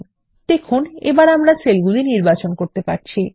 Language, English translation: Bengali, We are able to select the cells again